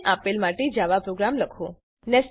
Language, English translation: Gujarati, Write java program for the following